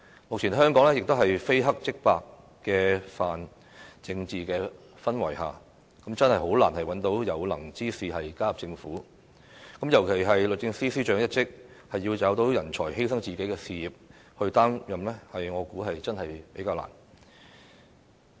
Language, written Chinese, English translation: Cantonese, 目前香港這個非黑即白的泛政治化氛圍，真的很難找到有能之士加入政府，尤其是律政司司長一職，要找到人才犧牲自己事業去擔任，我相信真的比較難。, Given the current pan - politicized atmosphere of Hong Kong where things are either black or white it is really difficult to identify competent persons to join the Government especially for the post of Secretary for Justice . I believe it is really difficult to identify a talent who is willing to sacrifice his own career to take up the work